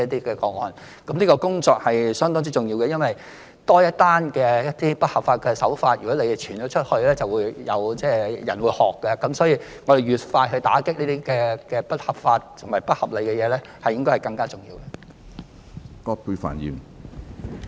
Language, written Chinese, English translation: Cantonese, 這項工作相當重要，因為如果多一宗不合法的營商手法案件傳出去，便會有人仿效，所以越快打擊不合法和不合理的情況越重要。, This is a fairly important task as the more cases of unlawful business practice are exposed the more the people will imitate . For this reason it becomes increasingly important to take quicker actions against cases of unlawful and unreasonable practices